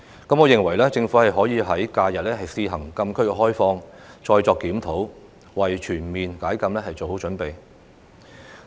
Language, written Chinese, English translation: Cantonese, 我認為，政府可以在假日試行禁區開放，然後再作檢討，為全面解禁做好準備。, In my opinion the Government may relax the frontier closed area restriction during holidays on a trial basis and then conduct a review in preparation for a total lifting of the restriction